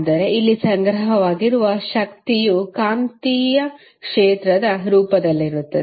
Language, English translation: Kannada, But here the stored energy is in the form of magnetic field